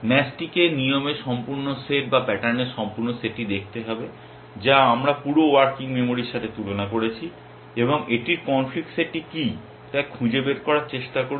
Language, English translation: Bengali, Match has to look at the entire set of rules or the entire set of patterns we have compare it with the entire working memory and try to find out what is the conflict set it is